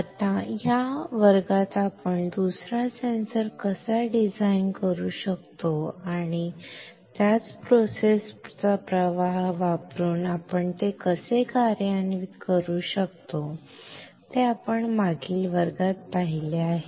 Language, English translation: Marathi, Now, in this class let us see how we can design another sensor and how we can implement it using the same process flow which we have seen in the last class, alright